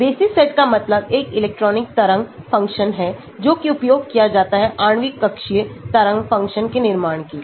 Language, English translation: Hindi, Basis set means is a one electron wave function used to build a molecular orbital wave function